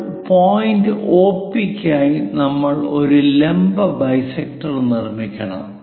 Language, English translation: Malayalam, Now, what we have to do is for point OP we have to make a perpendicular bisector